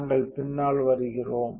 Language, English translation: Tamil, So, we come out to the back